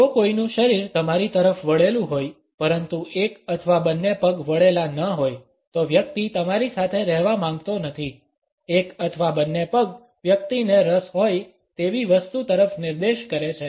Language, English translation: Gujarati, If someone’s body is turned towards you, but one or both feet are not the person does not want to be with you; one or both feet point at something the person is interested in